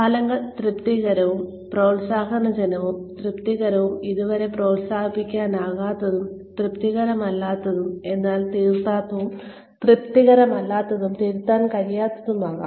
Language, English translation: Malayalam, The outcomes could be, satisfactory and promotable, satisfactory not promotable yet, unsatisfactory but correctable, and unsatisfactory and uncorrectable